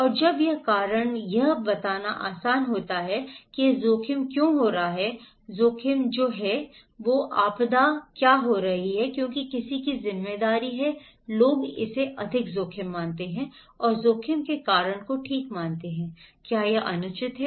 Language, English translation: Hindi, And when it is more easy to blame the reason that why this risk is happening, risk is taking place, disaster is taking place is because of someone’s responsibility people consider this as more higher risk and believe the cause of risk okay, is it unfair, equity, profit of others